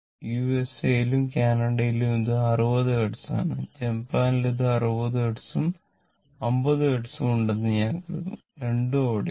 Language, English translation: Malayalam, In USA, Canada, it is 60 Hertz and in Japan, I think it has 60 Hertz and 50 Hertz both are there right